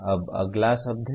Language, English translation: Hindi, It is the next one